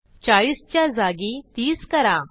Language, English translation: Marathi, Change 40 to 30